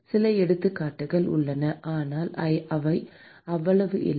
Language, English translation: Tamil, There are some examples, but they are not that many